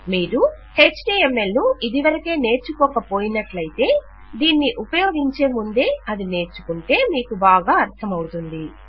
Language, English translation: Telugu, If you havent learnt HTML already, it would be very useful to learn it before you start working with this